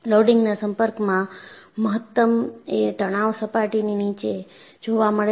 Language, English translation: Gujarati, In the contact loading the maximum stresses occurs beneath the surface